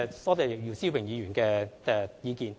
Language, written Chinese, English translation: Cantonese, 多謝姚思榮議員的意見。, I thank Mr YIU Si - wing for his opinion